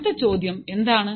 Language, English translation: Malayalam, Now what is the next thing